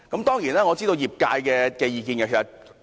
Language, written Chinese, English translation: Cantonese, 當然，我亦知道業界的意見。, Of course I am also aware of the view of the trade